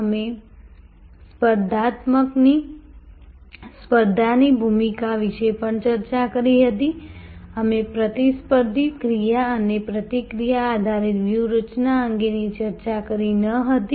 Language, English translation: Gujarati, We had also discussed the role of the competition, we did not discuss a competitor action and reaction driven strategy